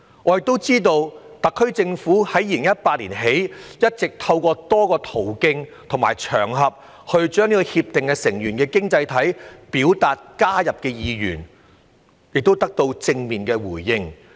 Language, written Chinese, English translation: Cantonese, 我也知道特區政府自2018年起，一直透過多個途徑和場合，向《協定》成員經濟體表達加入《協定》的意願，亦得到正面的回應。, I am also aware that since 2018 the SAR Government has indicated to RCEP participating economies through various means and on various occasions Hong Kongs keen interest in joining RCEP and received positive responses